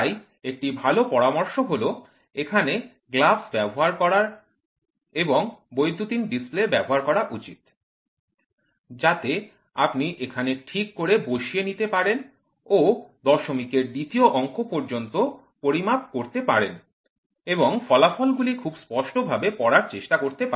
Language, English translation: Bengali, So, it is better advised to use a glove and it is also advised to have a digital display, so that you can try to see up to here you can see the second accuracy second digit decimal accuracy you can measure and try to read out the results very clearly